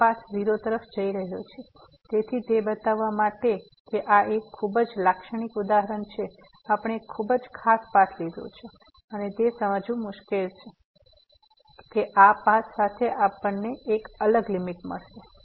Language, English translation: Gujarati, This path is going to 0 so, we have taken a very special path to show this is a very typical example and difficult to realize that a long this path we will get a different limit